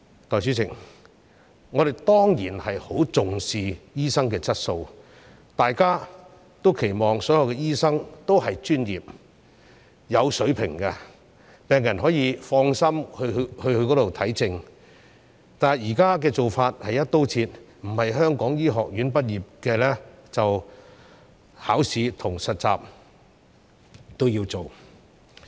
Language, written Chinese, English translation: Cantonese, 代理主席，我們當然十分重視醫生的質素，大家也期望所有醫生是專業和有水平的，讓病人可以放心求診，但現在"一刀切"的做法，只要並非香港醫學院畢業的醫生便需要考試和實習。, Deputy President we certainly attach great importance to the quality of doctors and we expect all doctors to be professional and of good standard so that patients can seek medical treatment without any worries . However under the current broad - brush approach doctors who are not graduated from medical schools in Hong Kong are required to take examinations and undergo internship